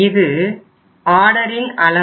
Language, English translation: Tamil, This is the order size